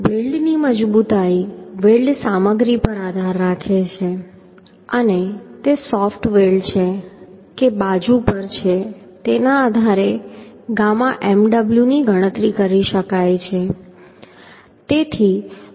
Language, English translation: Gujarati, Strength of weld depends on the weld material and whether it is soft weld or at side depending on that gamma mw can be calculated means can be used